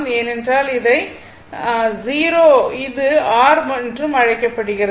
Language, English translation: Tamil, Because, what you call this is your 0 and this is R